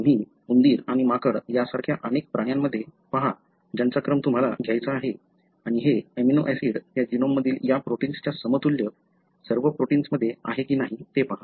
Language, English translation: Marathi, You look into the mouse, rat and monkey, as manyanimals that you want to sequence and see whether this amino acid is present in all the protein, the equivalent of this protein in thatgenome